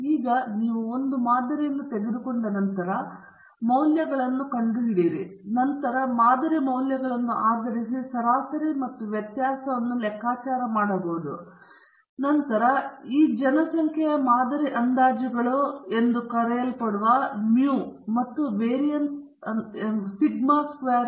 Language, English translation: Kannada, So, now, once you have actually taken a sample, and found out the values, and then calculated the mean and variance based on the sample values, and then we have what are called as sample estimates of the population mean mu and variance sigma squared